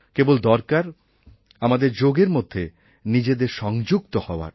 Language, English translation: Bengali, But for that to happen, first all of us need to get connected to Yoga